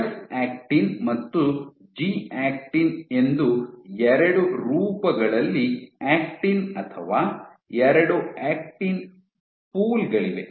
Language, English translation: Kannada, So, there are 2 pools of actin or actin exists in 2 forms have F actin and G actin